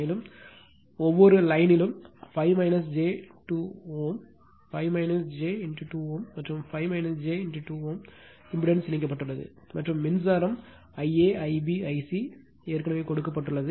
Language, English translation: Tamil, And in the line each line 5 minus j 2 ohm, 5 minus j 2 ohm and 5 minus j 2 ohm impedance connected and current I a I b I c already given right